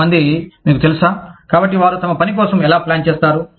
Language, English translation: Telugu, Some people, you know, so, how do they plan for their work